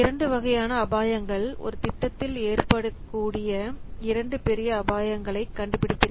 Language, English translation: Tamil, So, there are two types of risks we will find out in two major types of risks in a project